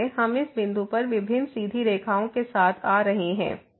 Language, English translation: Hindi, So, we are approaching to this point along different straight lines